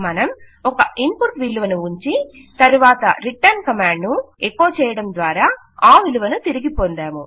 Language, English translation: Telugu, We saw that we can input a value and then returned a value echoing out using a return command